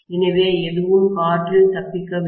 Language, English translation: Tamil, So, hardly anything escapes into air